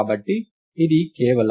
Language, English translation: Telugu, So, it just is